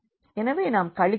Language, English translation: Tamil, So, we will just subtract